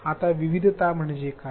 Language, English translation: Marathi, Now what do we mean by variety